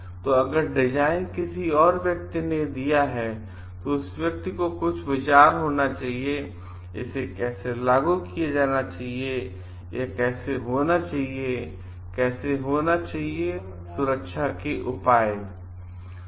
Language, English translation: Hindi, So, if the design is given by someone that person must be having some idea of how it should be implemented and how it should be used what are the safety measures required to it